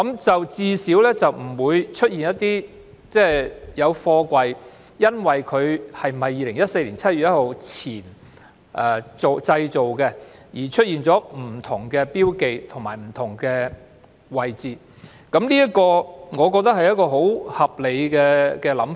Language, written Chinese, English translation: Cantonese, 這樣最低限度不會出現因貨櫃在2014年7月1日前或後製造而出現不同的標記，或是標記置於不同的位置，我認為這是十分合理的想法。, This will at least avoid having different markings for containers constructed before or after 1 July 2014 or fixing the markings of containers at different positions . In my opinion this approach is very reasonable